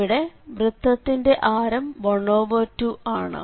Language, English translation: Malayalam, So, now the circle of radius half